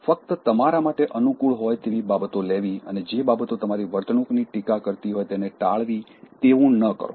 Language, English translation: Gujarati, Do not take only things which are favorable to you and avoid things which are appearing to criticize your behavior